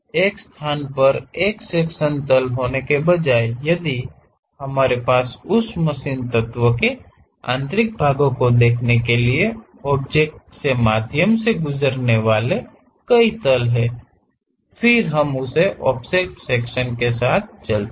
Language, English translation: Hindi, Instead of having a sectional plane at one location, if we have multiple planes passing through the object to represent interior parts of that machine element; then we go with this offset section